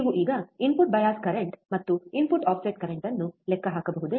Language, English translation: Kannada, Can you now calculate input bias current and input offset current